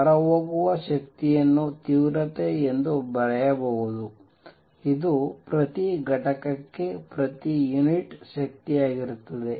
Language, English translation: Kannada, Energy which is going out can be written as the intensity which is energy per unit per area per unit time